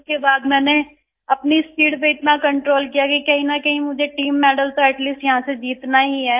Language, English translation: Hindi, After that, I controlled my speed so much since somehow I had to win the team medal, at least from here